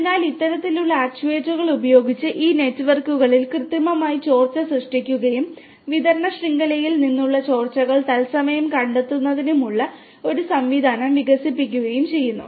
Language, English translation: Malayalam, So, with this the kind of actuators we have we artificially create leaks in these networks and then developing a system for the real time detection of the leakages from the distribution network